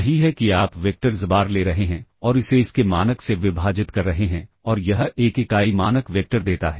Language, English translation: Hindi, That is you are taking the vector xbar and dividing it by the, by its norm and that gives a unit norm vector